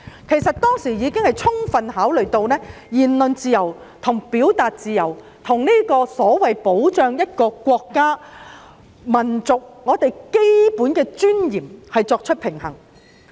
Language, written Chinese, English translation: Cantonese, 事實上，法院當時已充分考慮，並就言論自由和表達自由與所謂保障一個國家、民族的基本尊嚴作出平衡。, In fact at that time CFA had made thorough consideration and struck a balance between freedom of speech and of expression and the so - called protection of the fundamental dignity of a nation and race